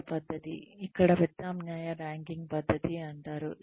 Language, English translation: Telugu, The other method, here is called, the alternation ranking method